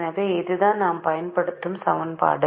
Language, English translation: Tamil, so this is the equation that we will be using particularly this equation which we'll be using now